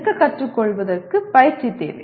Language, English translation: Tamil, Learning to stand requires practice